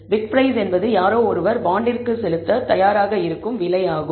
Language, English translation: Tamil, Bid price is the price someone is willing to pay for the bond